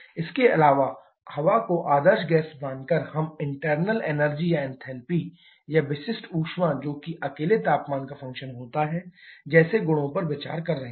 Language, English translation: Hindi, Also, assuming air to be ideal gas we are considering properties like internal energy or enthalpy or specific heat to be function of temperature alone